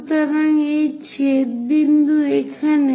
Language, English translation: Bengali, So, this intersection point is here